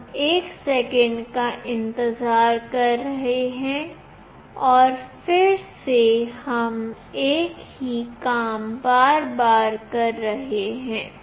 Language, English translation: Hindi, We are waiting for 1 second and again we are doing the same thing repeatedly